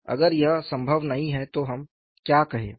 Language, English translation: Hindi, If it is not possible, what should we say